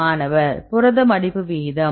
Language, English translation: Tamil, Protein folding rate